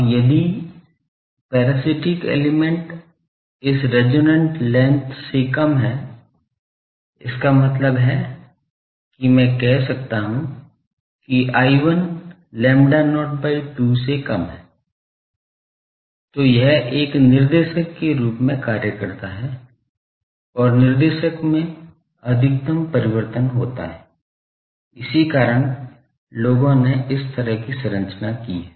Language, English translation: Hindi, Now, if the parasitic element is shorter than this resonant length; that means, I can say l 1 is less than lambda not by 2, then it acts as a director and maximum variation occurs in the director; that means, people have made the structure like this that